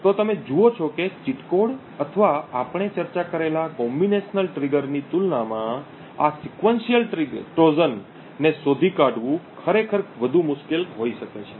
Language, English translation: Gujarati, So you see that this sequential Trojan may be more difficult to actually detect compared to the cheat code or the combinational trigger that we discussed